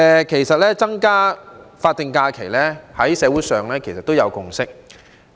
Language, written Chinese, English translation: Cantonese, 其實，增加法定假日在社會上已有共識。, In fact there is a consensus on increasing the number of SHs in society